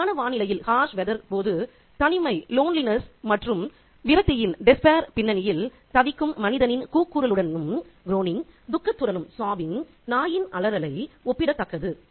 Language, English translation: Tamil, The howls of the dog are comparable to human groaning and sobbing in the backdrop of loneliness and despair during the harsh weather